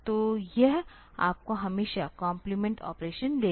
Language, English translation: Hindi, So, it will always give you the complement operation